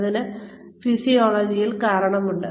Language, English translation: Malayalam, There is a physiological reason for it